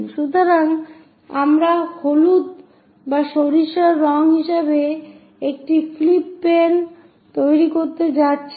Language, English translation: Bengali, So, that we are going to construct flip plane as that the yellow one or the mustard color